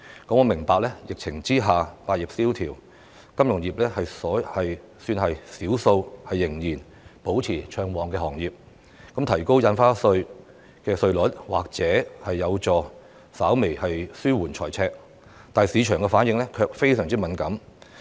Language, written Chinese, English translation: Cantonese, 我明白，疫情下百業蕭條，金融業是少數仍然保持暢旺的行業，因此提高印花稅稅率或有助稍微紓緩財赤，但市場反應卻非常敏感。, I understand that while many industries have languished amid the epidemic the financial industry is one of the few industries that remain robust . Therefore raising the Stamp Duty may help to alleviate the fiscal deficit a bit . However this has aroused a very strong reaction in the market